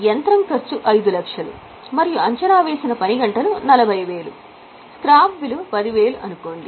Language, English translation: Telugu, If the cost of machine is 5 lakhs and estimated working hours are 40,000, scrap value is 10,000